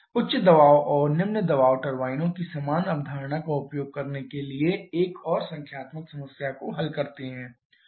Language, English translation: Hindi, Let us solve another numerical problem to use the same concept of high pressure and low pressure turbines